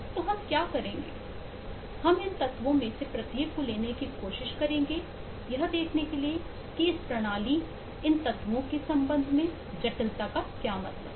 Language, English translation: Hindi, so what we will do is we will take each of these elements and try to see what does a complexity mean in regard to this system, this elements